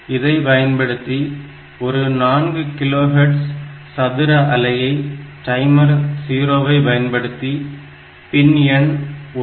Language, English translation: Tamil, And we want to generate a 4 kilohertz square wave on the pin 1